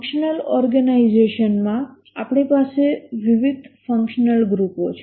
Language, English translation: Gujarati, In the functional organization we have various functional groups